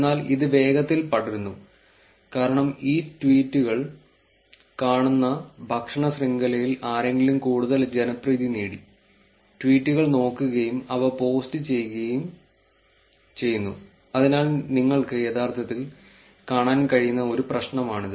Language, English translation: Malayalam, But it gets spread fastly because somebody in the chain, in the food chain of looking at these tweets, who got more popular also looks at the tweets and post it, so that is ne of the problem that you can actually look at